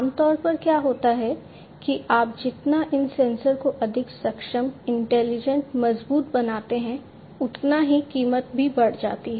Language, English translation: Hindi, Typically, what happens is the more you make these sensors much more competent intelligent robust and so on the price also increases